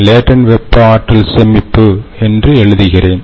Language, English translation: Tamil, so i will write it down as latent thermal energy storage